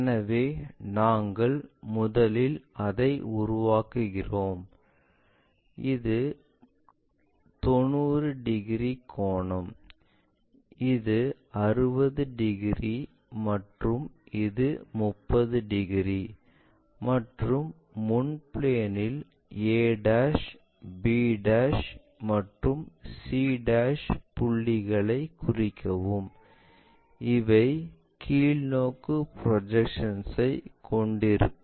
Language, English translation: Tamil, So, we first construct that one, this is 90 degrees angle, this one 60 degrees and this one 30 degrees and locate the points in the frontal plane a', b' and c' this always have projections downwards and this point also downwards